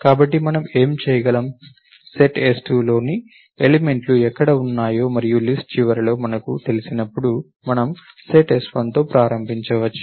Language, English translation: Telugu, So, what could we do is, we could start off with set s1, when we know where the elements in set s2 are and till the end of the list